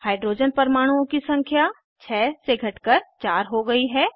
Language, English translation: Hindi, Number of Hydrogen atoms reduced from 6 to 4